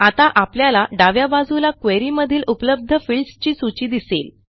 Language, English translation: Marathi, Now we see a list of available fields from the query on the left hand side